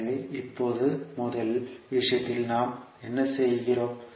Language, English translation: Tamil, So now, in first case what we are doing